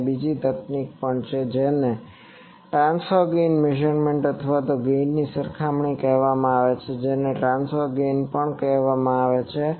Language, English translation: Gujarati, There is also another technique which is called transfer gain measurement or gain comparison also that is called transfer gain